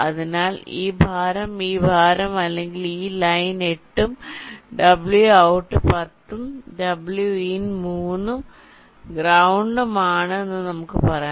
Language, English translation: Malayalam, so lets say wvdd, this weight, this weight of this line is eight and w and out is ten, w and in is three and ground is also three